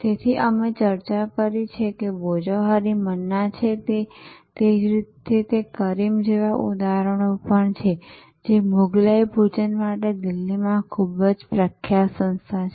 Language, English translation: Gujarati, So, we discussed that Bhojohori Manna and similarly there are example likes Karim’s, a very famous establishment in Delhi for Mughlai food